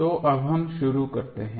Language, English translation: Hindi, So, now let us start